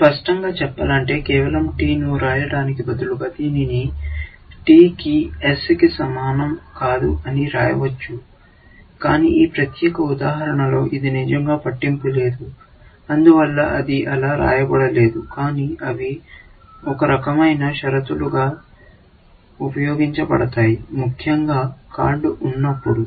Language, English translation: Telugu, I can even, to be explicit, I can even say, instead of writing just T, I can write t not equal to s, but it turns out that in this particular example, that does not really matter; so, I have not written it like that, but those are the kind of things you can write as condition checks, essentially, and no card